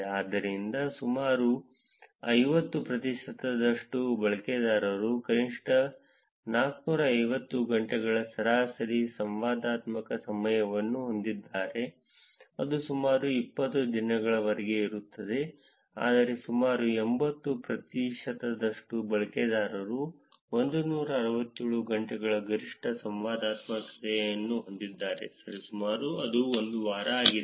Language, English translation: Kannada, For instance, around 50 percent of the users have an average interactivity time of at least 450 hours that is close to about 20 days, whereas around 80 percent of the users have the maximum interactivity of 167 hours roughly a week